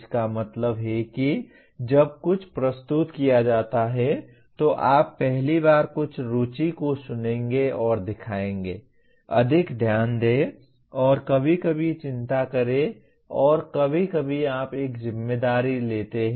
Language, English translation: Hindi, That means when something is presented you will first listen to and show some interest, pay more attention and sometimes concern and sometimes you take a responsibility